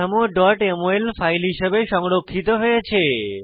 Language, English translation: Bengali, The structure was saved as a .mol file